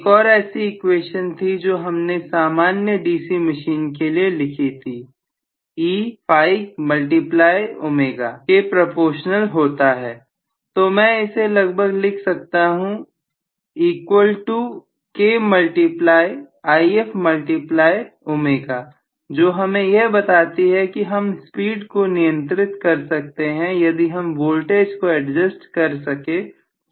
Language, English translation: Hindi, One more equation we wrote for the DC machine in general is E is proportional to phi multiplied by omega, so I can write this to be approximately equal to K times may IF multiplied by omega which indirectly tells me maybe I can I have a control over the speed by adjusting probably the voltage which is actually the back EMF in this case it is not really applied voltage